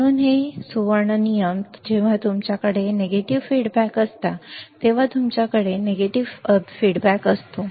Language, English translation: Marathi, So, this golden rules tends to when you have negative feedback, when you have negative feedback